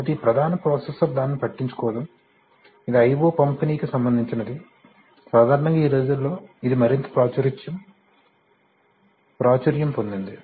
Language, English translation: Telugu, So this main processor is not bothered with that, so that is distributed I/O, generally getting more and more popular now, these days